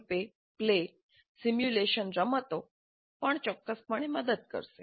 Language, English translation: Gujarati, Role play simulation games also would definitely help